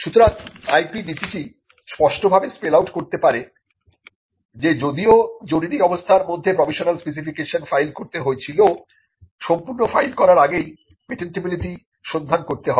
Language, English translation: Bengali, So, the IP policy can clearly spell out though the provisional had to be filed in a situation of emergency the policy can spell out that there has to be a patentability search conducted before a complete can be filed